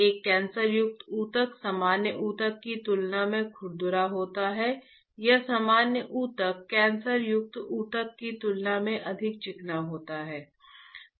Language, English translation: Hindi, A cancerous tissue is rough compared to the normal tissue or normal tissue is much more smoother compared to cancerous tissue